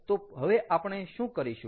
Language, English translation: Gujarati, so what did we study today